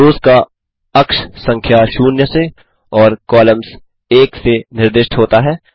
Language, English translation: Hindi, The axis of rows is referred by number 0 and columns by 1